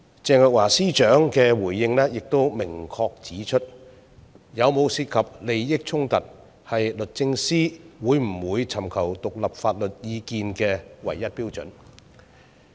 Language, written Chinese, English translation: Cantonese, 鄭若驊司長的回應亦明確指出，有否涉及利益衝突，是律政司會不會尋求獨立法律意見的唯一標準。, Secretary Teresa CHENGs response also made it clear that whether there was a conflict of interest is the only criterion based on which the Department of Justice DoJ seeks independent legal advice